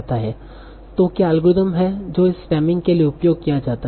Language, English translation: Hindi, So what is the algorithm that is used for this stemming